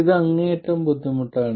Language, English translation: Malayalam, It is extremely cumbersome